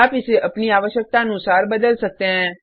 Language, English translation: Hindi, You can change it as you want